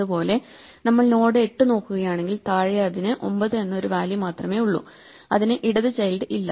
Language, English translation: Malayalam, Similarly, if we look at the node 8, it has only one value below it namely 9 and therefore, it has no left child, but 9 is in the right subtree of 8